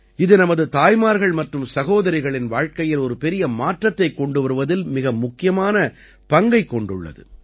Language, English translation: Tamil, It has played a very important role in bringing a big change in the lives of our mothers and sisters